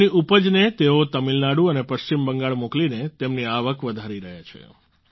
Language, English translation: Gujarati, Now by sending his produce to Tamil Nadu and West Bengal he is raising his income also